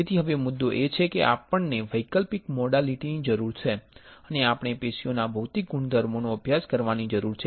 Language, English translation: Gujarati, So, now, the point is we require an alternative modality and we need to study the physical properties of tissues